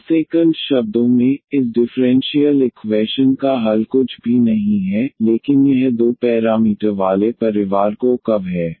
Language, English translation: Hindi, Or in other words the solution of this differential equation is nothing, but this given family of two parameter family of curves